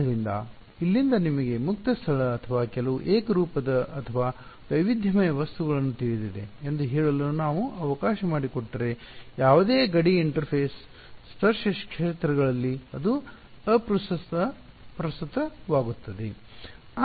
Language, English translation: Kannada, So, if I have let us say you know free space from here or some homogenous or even heterogeneous material it does not matter at any boundary interface tangential fields are satisfied